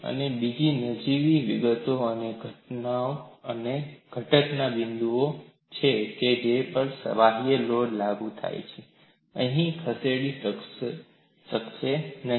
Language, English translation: Gujarati, And another minor detail is the points of the component at which external loads are applied may or may not move